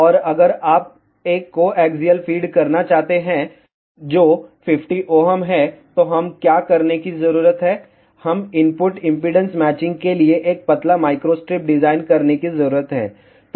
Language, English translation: Hindi, And if you want to feed with a coaxial feed, which is 50 ohm, then what we need to do, we need to design a tapered micro strip line for input impedance matching